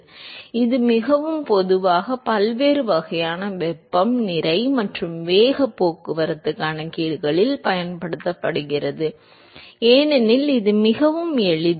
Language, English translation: Tamil, So, this is very very commonly used in different types of heat, mass and momentum transport calculations because it is very handy